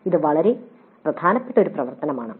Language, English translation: Malayalam, This is an extremely important activity